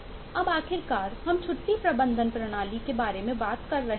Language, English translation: Hindi, now all, finally, we are talking about a leave management system